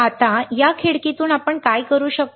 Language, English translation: Marathi, Now through this window, what we can do